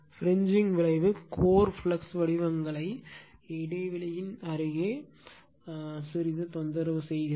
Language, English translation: Tamil, The fringing effect also disturbs the core flux patterns to some depth near the gap right